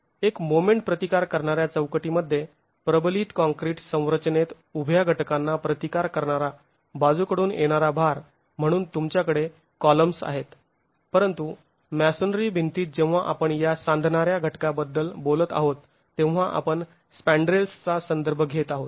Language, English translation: Marathi, In a a moment resisting frame in a reinforced concrete structure, you have columns as the lateral load resisting vertical elements but in a masonry wall when we are talking of these coupling elements we are referring to the spandrels